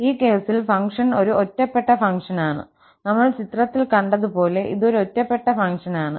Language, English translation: Malayalam, And in this case, the function is an odd function as we have seen in the picture it is an odd function